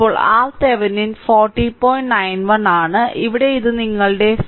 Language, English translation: Malayalam, 91 and here, it is your here it is 40